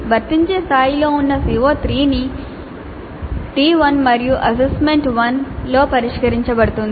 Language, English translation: Telugu, CO3 which is at apply level is addressed in T1 and A1 in assignment 1